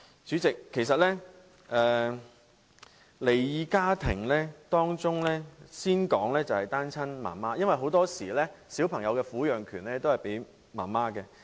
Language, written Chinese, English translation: Cantonese, 主席，就離異家庭方面，我先說一說單親媽媽的情況，因為很多時小朋友的撫養權會判給母親。, President in regard to split families I would first talk about the situation of single mothers as the custody of children is usually awarded to the mother